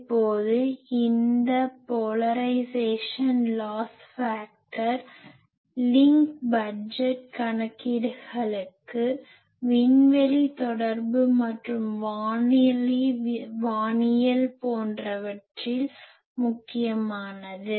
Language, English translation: Tamil, Now these polarisation loss factor is important for link budget calculations; in space communication and radio astronomy etc